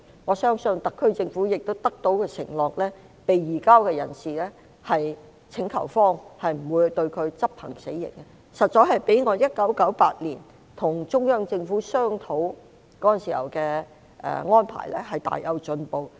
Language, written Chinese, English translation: Cantonese, 我相信特區政府亦得到承諾，請求方不會將被移交人士執行死刑，這實在較我1998年與中央政府商討時的安排有很大的進步。, I believe that the HKSAR Government has also been promised that the requesting party will not execute death penalty of the surrendered person which is a great improvement over the arrangements I discussed with the Central Government in 1998